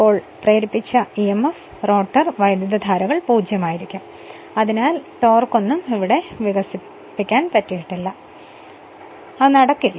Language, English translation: Malayalam, And and therefore, the induced emf and rotor currents will be 0 and hence no torque is developed right